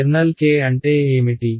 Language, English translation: Telugu, What is my kernel K